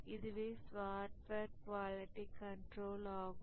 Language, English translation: Tamil, That's the software quality control